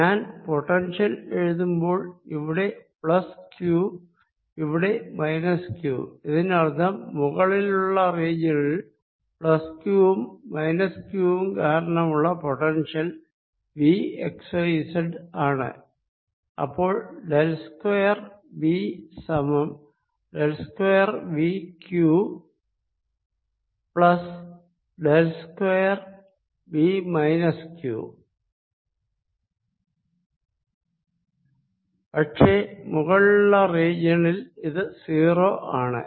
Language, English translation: Malayalam, that means in the upper region if i write the potential so let's take plus q here, minus q here in the upper region if i write the potential v, x, y, z as potential due to q, plus potential due to minus q, then del square v is equal to del square v, q plus del square v minus q